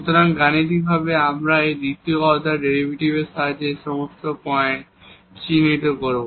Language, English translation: Bengali, So, now mathematically we will identify all these points with the help of the second order derivatives